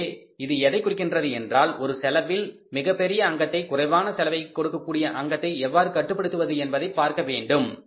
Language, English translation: Tamil, So it means we have to see that we have to hit at the biggest component of the cost which is able to give us the minimum cost